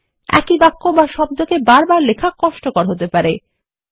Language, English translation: Bengali, It can be cumbersome to type these sentences or words again and again